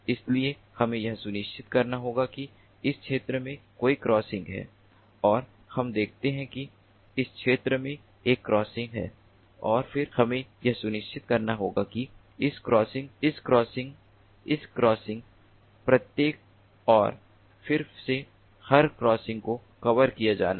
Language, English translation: Hindi, so we have to ensure that there are crossing in this particular region and we do see that there a crossings in this region, and then we have to ensure that every crossing like this crossing, this crossing, this crossing, each and every crossing again has to be covered, like this crossing ah in this particular figure, is not covered